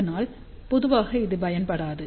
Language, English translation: Tamil, So, generally it is not used